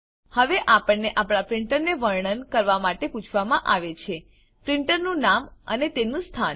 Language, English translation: Gujarati, Now, we are prompted to describe our printer printer name and its location